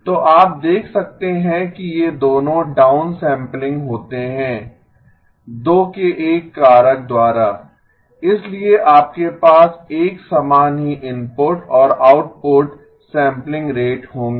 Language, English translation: Hindi, So you can see that both of these are down sampling by a factor of two, so therefore you would have the same input and output sampling rate